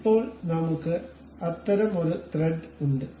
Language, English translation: Malayalam, Now, we have such kind of thread